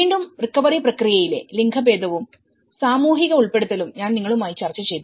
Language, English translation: Malayalam, Again, I discussed with you the gender and social inclusion in the recovery process